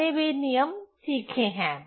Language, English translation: Hindi, So, that rules we have learned